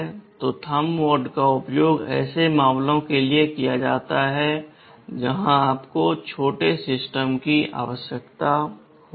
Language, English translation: Hindi, So, Thumb mode is used for such cases where you need small systems